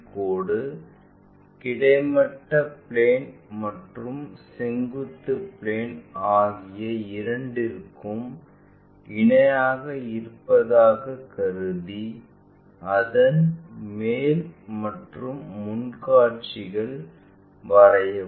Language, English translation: Tamil, Assume that the line is parallel to both horizontal plane and vertical plane and draw it is top and front views